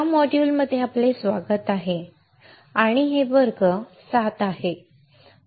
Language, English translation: Marathi, Welcome to this module and these are class 6